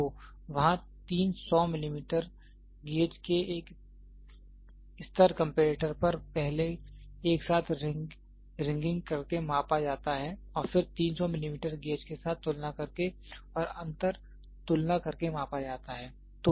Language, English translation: Hindi, So, there are three 100 millimeter gauges are measured on a level comparator by first ringing them together and then comparing them with 300 millimeter gauge and inter comparing them